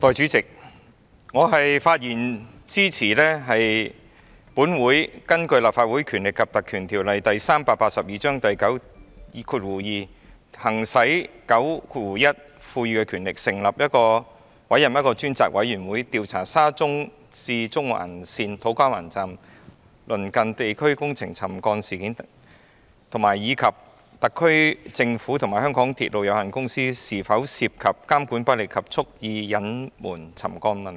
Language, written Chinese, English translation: Cantonese, 代理主席，我發言支持本會根據《立法會條例》第92條行使第91條賦予的權力，成立一個專責委員會，調查沙田至中環線土瓜灣站工程地盤鄰近地區出現的沉降事件，以及特區政府及香港鐵路有限公司是否涉及監管不力及蓄意隱瞞沉降問題。, Deputy President I speak in support of this Council to be authorized under section 92 of the Legislative Council Ordinance Cap . 382 to exercise the powers conferred by section 91 of that Ordinance to appoint a select committee to inquire into the incident of land subsidence in districts near the construction site of To Kwa Wan Station of the Shatin to Central Link and whether the incident involved ineffective monitoring by the SAR Government and the MTR Corporation Limited MTRCL and their deliberate concealment of the land subsidence problem